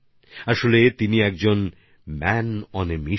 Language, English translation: Bengali, In reality he is a man on a mission